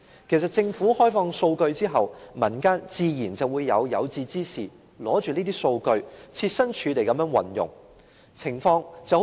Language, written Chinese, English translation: Cantonese, 其實，政府開放數據之後，民間的有志之士自然會運用這些數據，設身處地為別人着想。, In fact after the Government has opened up its data people in the community will naturally use such data to create apps that meet the genuine needs